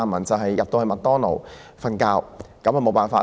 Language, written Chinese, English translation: Cantonese, 驟耳聽來，在麥當勞睡覺也不錯。, Upon hearing this one may think that it is not that bad to sleep in McDonalds restaurants